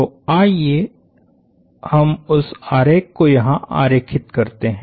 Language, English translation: Hindi, So let us draw that picture to the side here